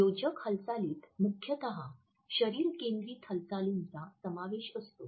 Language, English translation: Marathi, Adopters principally comprise body focused movements